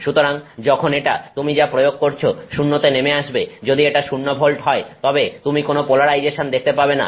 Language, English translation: Bengali, So, now when this what you are applying drops to 0, when this drops to 0 if it is 0 volts, then you don't see any polarization